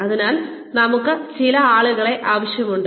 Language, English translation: Malayalam, So, how many people, do we need